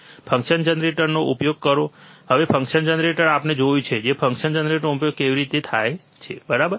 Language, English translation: Gujarati, Use function generator, now function generator we have seen how function generator is used, right